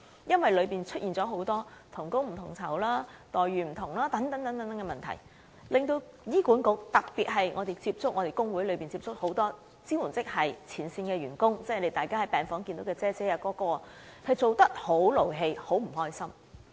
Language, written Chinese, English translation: Cantonese, 由於當中出現很多同工不同酬，待遇不同等問題，特別是我們透過工會接觸到很多支援職系的前線員工，就是大家在病房見到的"姐姐"或"哥哥"，他們工作時十分生氣，很不開心。, Owing to the emergence of many problems caused by different pay for the same job different treatments and so on many supporting frontline staff members we have contacted through labour unions or the outsourced workers we find in the wards in particular are very angry or unhappy at work